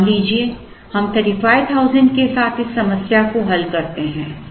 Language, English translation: Hindi, Suppose, we solve this problem with 35,000 say